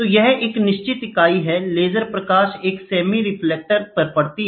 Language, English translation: Hindi, So, this is a fixed unit, the laser light falls on a semi reflected one